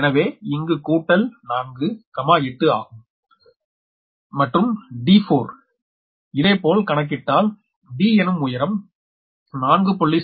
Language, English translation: Tamil, so here it is four plus four, eight meter and d and similarly calculate d